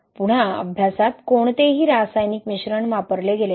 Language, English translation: Marathi, Again, in the study, no chemical admixture was used